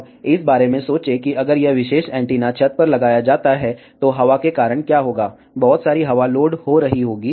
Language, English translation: Hindi, Now, think about if this particular antenna is mounted on the rooftop, what will happen because of the wind, there will be lot of wind loading will be there